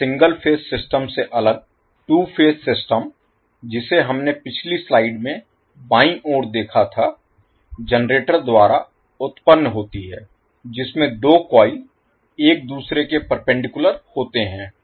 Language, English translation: Hindi, Now, as distinct from the single phase system, the 2 phase system which we saw in the left side of the previous slide is produced by generator consisting of 2 coils placed perpendicular to each other